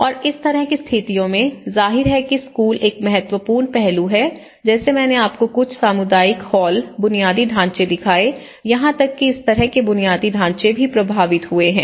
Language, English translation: Hindi, And in such kind of situations, obviously one of the important aspect is the schools like as I showed you some community hall infrastructure; even these kind of infrastructure has been affected